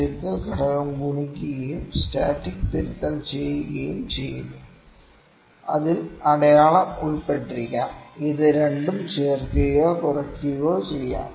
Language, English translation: Malayalam, Correction factor is multiplied and static correction is added might be it includes the sign; it might be added or subtracted both, ok